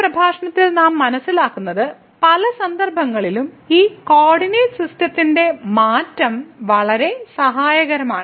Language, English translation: Malayalam, But what we will realize in today’s lecture that this change of coordinate system in many cases is very helpful